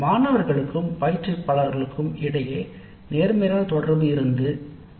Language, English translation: Tamil, Positive interaction between the students and instructor existed